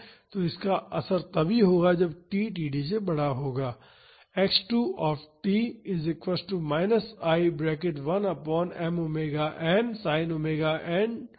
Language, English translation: Hindi, So, the effect of this will come only when t is greater than td